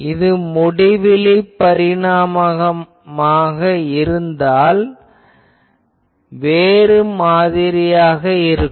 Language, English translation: Tamil, If I have infinite dimension, then there is something else